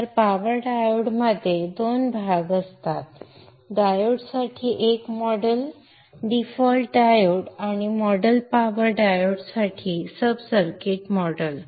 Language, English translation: Marathi, So the power diode is consisting of two parts, a model for the diode default diode and the sub circuit model for the power diode